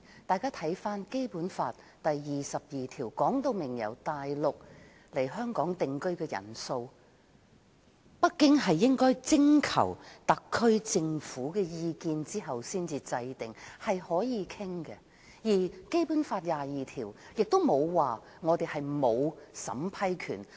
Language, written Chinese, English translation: Cantonese, 大家看看《基本法》第二十二條訂明由大陸來香港定居的人數，北京應該徵求特區政府的意見後才確定，是可以討論的；而《基本法》第二十二條沒有說香港沒有審批權。, Let us look at Article 22 of the Basic Law . It stipulates that the number of persons from the Mainland who enter Hong Kong for the purpose of settlement shall be determined by Beijing after consulting the Special Administrative Region Government meaning it is open to discussion . And Article 22 of the Basic Law does not rule out Hong Kongs vetting and approval authority